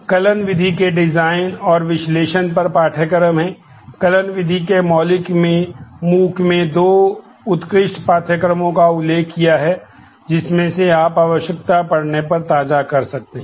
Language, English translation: Hindi, There are courses on design and analysis of algorithms, fundamental of algorithms have mentioned two excellent courses in MOOC’s from which you can brush up if you need to